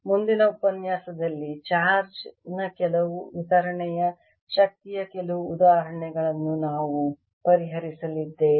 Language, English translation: Kannada, in the next lecture we are going to solve some examples of energy, of some distribution of charge